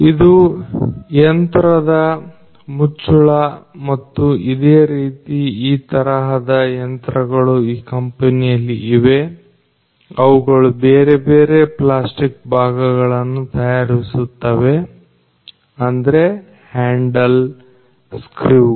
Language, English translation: Kannada, So, this is the lid of the machine and there are other few similar kinds of machines that are here in this particular company which will make the other different plastic parts like the handle the screws that are there